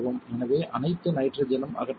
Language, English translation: Tamil, So, that all the nitrogen is removed